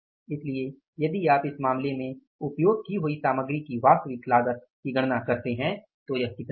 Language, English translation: Hindi, So, if you calculate the actual cost of the material used, in this case it will come up as material A is how much